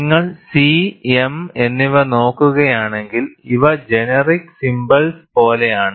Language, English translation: Malayalam, And if you look at C and m, these are like generic symbols